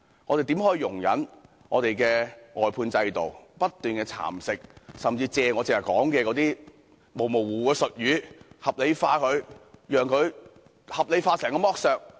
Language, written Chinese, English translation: Cantonese, 我們怎可以容忍外判制度不斷蠶食，甚至透過我剛才提及的模糊術語合理化所有剝削？, How can we tolerate the incessant erosion and even the rationalization of all exploitation acts through those vague jargons that I mentioned earlier by the outsourcing system?